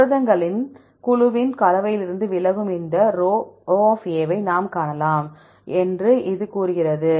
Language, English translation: Tamil, This says we can see this σ, deviation from composition of the group of proteins A